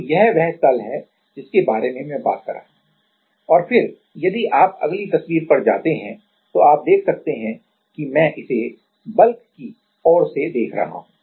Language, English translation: Hindi, So, this is the plane I am talking about and then, if you go to the next picture what you can see is I am seeing it from the bulk perspective